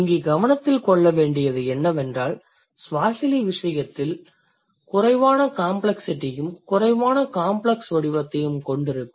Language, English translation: Tamil, So, the concern here is that in case of Swahili if you take into account, the one which has less complexity will also have a less complex form